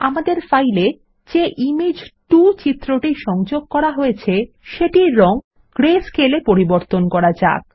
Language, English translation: Bengali, Let us change the color of Image 2, which is linked to the file to greyscale